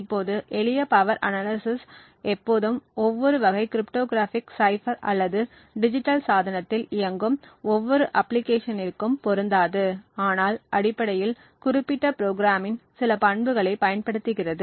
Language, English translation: Tamil, Now in the simple power analysis it may not be always applicable to every type of cryptographic cipher or every application that is running on digital device, but essentially makes use of certain attributes of the particular program